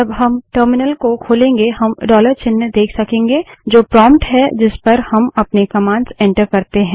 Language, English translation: Hindi, When we open the terminal we can see the dollar sign, which is the prompt at which we enter all our commands